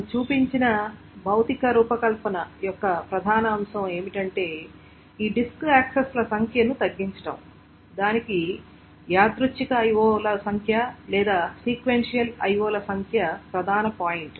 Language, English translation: Telugu, And if you also remember the main point of this physical design that we showed is that is to reduce the number of this disk accesses, the number of random IOS or the number of sequential IOS is the main point